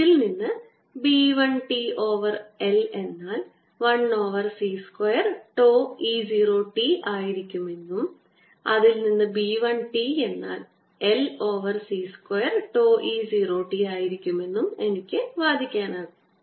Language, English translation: Malayalam, i can argue from this that b one t i am going to have b one t over l is equal to one over c square tau e zero t, which gives me b one t of the order of l over c square tau e zero t